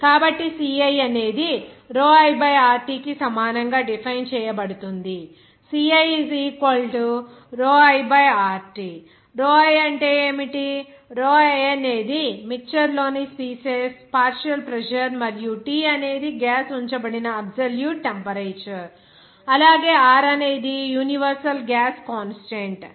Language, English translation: Telugu, So, it will be defined as ci that will be equal to pi by RT, what is pi, pi is the partial pressure of the species i in the mixture and T is the absolute temperature at which this gas is you know kept and also R is the universal gas constant there